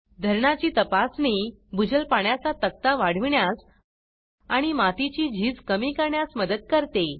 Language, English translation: Marathi, Check dams helped in increasing the ground water table and reduce soil erosion